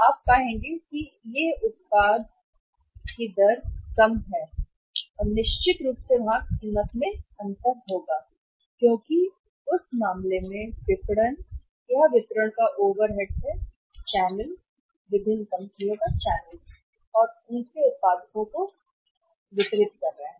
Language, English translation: Hindi, There you will find the product is at the same as much lesser rate and certainly there will be the difference in the price because in that case the marketing or the distributions overheads of that channel are getting say say say distributed to the different companies and their products